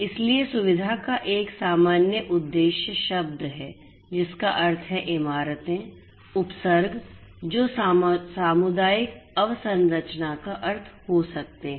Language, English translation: Hindi, So, in you know facility is a general purpose term which means buildings, precincts which could mean community infrastructure